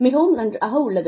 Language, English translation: Tamil, It is very good